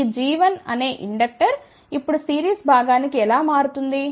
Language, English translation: Telugu, How this g 1 which is inductor gets transformed to series component